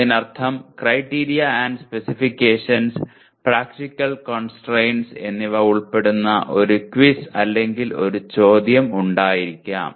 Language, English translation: Malayalam, That means there could be a quiz or a question that involves Criteria and Specifications or Practical Constraints